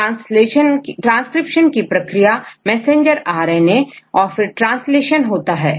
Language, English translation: Hindi, Messenger; transcription by messenger RNA right RNA and the translation